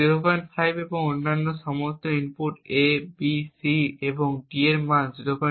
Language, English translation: Bengali, 5 each and all other inputs A, B, C and D have a value of 0